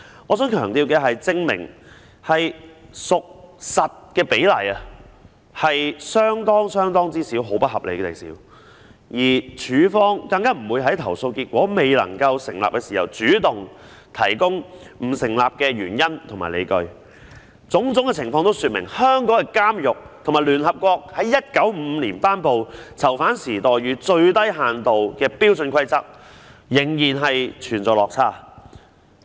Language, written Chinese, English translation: Cantonese, 我想強調的是，"證明屬實"的個案比例是不合理地少，而署方更不會在投訴結果未能成立時主動提供不成立的原因和理據，種種情況均說明香港的監獄與聯合國在1955年頒布的《囚犯待遇最低限度標準規則》的要求仍然有落差。, I wish to emphasize that the proportion of cases substantiated was unreasonably small . Moreover CSD would not take the initiative to provide the reasons and justifications for non - substantiation when a complaint was found non - substantiated . All such circumstances have illustrated that the prisons in Hong Kong still fall short of the requirements in the Standard Minimum Rules for the Treatment of Prisoners promulgated by the United Nations in 1955